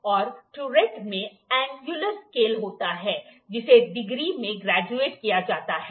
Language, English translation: Hindi, And a turret has an angular scale, which is graduated in degrees